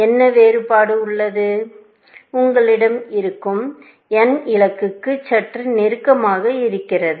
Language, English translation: Tamil, What is the difference; that you have n is little bit closer to the goal